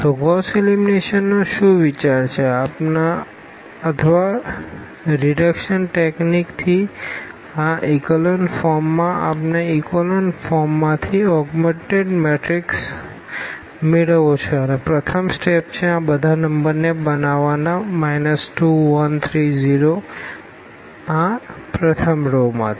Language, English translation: Gujarati, So, what is the idea of this Gauss elimination or the reduction technique to this echelon form we want to have echelon form out of this augmented matrix and the first step is to make these numbers here 2 minus 1 3, 0 out of this row 1